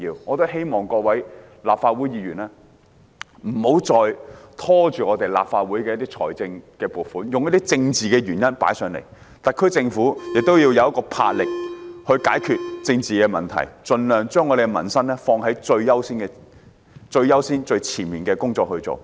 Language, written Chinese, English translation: Cantonese, 我希望各位立法會議員不要再因任何政治理由拖延處理政府提交本會的撥款申請，而特區政府亦須展示魄力，切實解決政治問題，盡量把民生放在最優先位置。, I hope that Members of this Council will stop stalling the vetting of the Governments funding applications on political grounds . On the other hand the SAR Government must show its vigour and take a practical approach to settle political problems while according highest priority to peoples livelihood